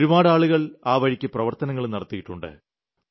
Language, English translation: Malayalam, A lot of people have worked in this direction